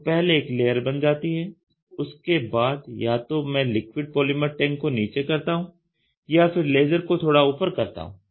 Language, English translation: Hindi, So, one layer is formed, then either I move the liquid polymer tank down or I move the laser little up you try to get it